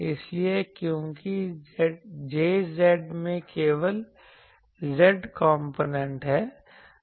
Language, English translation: Hindi, So, since Jz has only z component